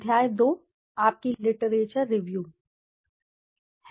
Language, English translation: Hindi, Chapter 2 is your literature review